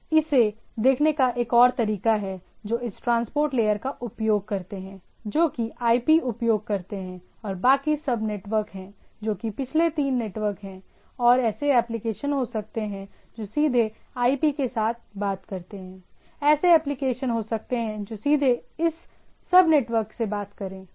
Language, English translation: Hindi, Other way of looking at this there are applications which uses this transport layer which instead IP and the sub network is rest of the network what we say that last three network and there can be application which directly talk with the IP, there are can be application which directly talk to this sub network right